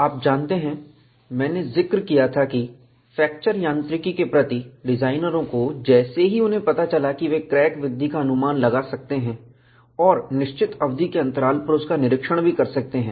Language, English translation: Hindi, You know, I had mentioned that, designers took to fracture mechanics, once they realized, they could predict crack growth and also inspect, at periodic intervals